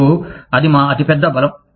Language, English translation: Telugu, And, that is our biggest strength